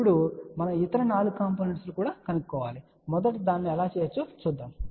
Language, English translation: Telugu, Now, we need to find other 4 components also, so let us see how we can do that